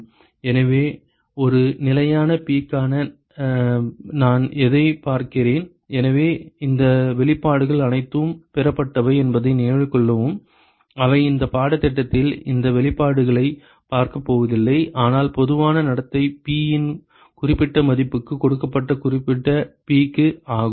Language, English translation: Tamil, So, what I would see for a fixed P so note that these expressions have all been derived they are not going to look at these expressions in this course, but the general behavior is for a given specified P for a specified value of P